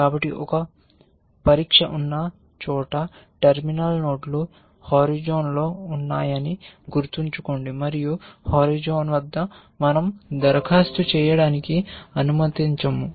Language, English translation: Telugu, So, some where there is a test so, remember the terminal nodes are those on the horizon, and at the horizon we allowed to apply